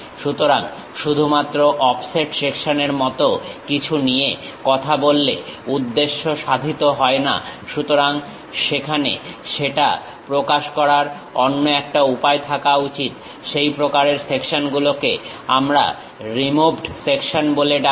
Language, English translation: Bengali, So, just taking something like offset section does not serve the purpose; so there should be another way of representing that, that kind of sections what we call removed sections